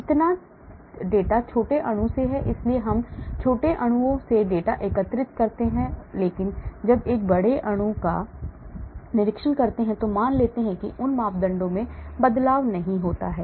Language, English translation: Hindi, So much of the data is from small molecule so I collect data from small molecules, but when I go to a larger molecule I assume those parameters do not change, do you understand